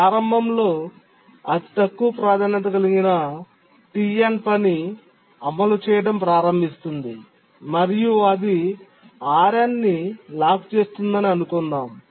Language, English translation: Telugu, Now let's assume that initially the task TN which is the lowest priority starts executing and it locks RN